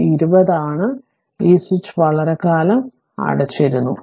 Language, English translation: Malayalam, And this is 20 ohm; and this switch was closed for long time